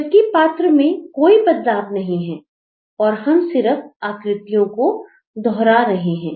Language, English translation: Hindi, though the character is not changing at all, the figures are only getting repeated